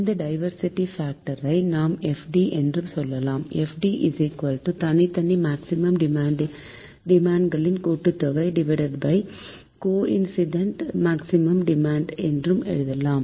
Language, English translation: Tamil, so diversity factor we term it as fd is given as fd is equal to sum of individual maximum demand by coincident maximum demand